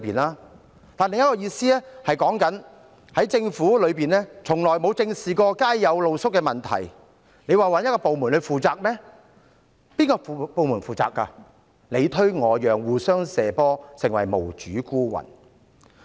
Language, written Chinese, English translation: Cantonese, 另一個意思是指政府從來沒有正視街上露宿者的問題，大家想查問哪個部門負責，但各部門你推我讓，互相"射波"，於是他們便成為無主孤魂。, The other meaning is that the Government has never squarely addressed the issue of street sleepers . We want to enquire which department is responsible but the departments just pass the buck shirking the responsibility onto each other . Subsequently they have become like outcasts